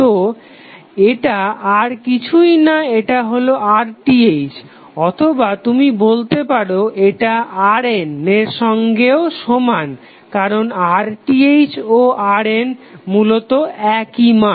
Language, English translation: Bengali, So, these would be nothing but equal to R Th or you can say that it is equal to R N also because R Th and R N are essentially the same